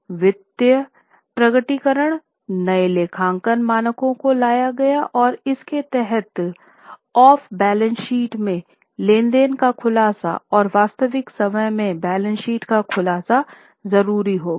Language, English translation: Hindi, So, new accounting standards were brought in for disclosure of off balance sheet transactions and the real time disclosure became necessary